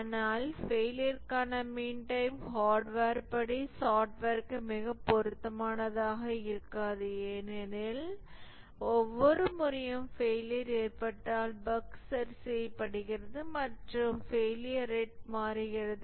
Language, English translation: Tamil, But mean time to failure would not be very appropriate for software as for hardware because each time there is a failure the bug is fixed and the rate of failure changes